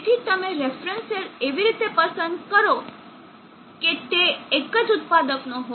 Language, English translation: Gujarati, So you choose the reference cell such that it is from the same manufacturer